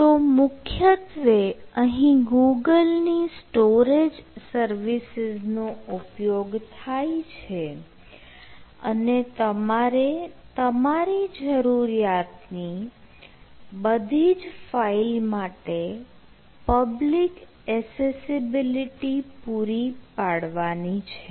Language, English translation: Gujarati, so it is primarily using the storage of the use of google, that is mostly the storage services, and you have to enable that public accessibility to the files wherever you are required to you